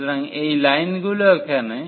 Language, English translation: Bengali, So, these are the lines here